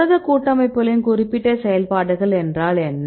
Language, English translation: Tamil, What are the specific functions of protein complexes